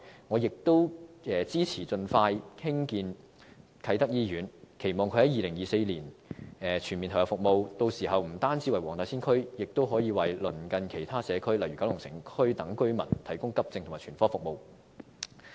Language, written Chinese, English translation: Cantonese, 我亦支持盡快興建啟德醫院，期望在2024年全面投入服務，屆時不單為黃大仙區，亦可以為鄰近其他社區如九龍城區等的居民提供急症及全科服務。, I also support expeditiously constructing the Kai Tak Hospital and expect its full commissioning in 2024 . By that time AE services and a full range of healthcare services can be provided to residents of the Wong Tai Sin District as well as other neighbouring communities such as the Kowloon City district